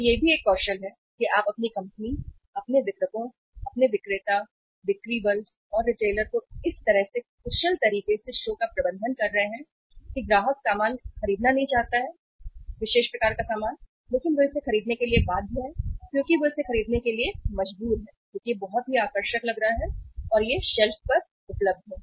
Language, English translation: Hindi, So that is also a another skill that you are managing your company, your distributors, your salesperson, sales force and retailer are managing the show in such a efficient manner that even the customer does not want to buy the goods, particular type of the goods, but they are bound to buy it they are forced to buy it because it looks so attractive because it is available on the shelf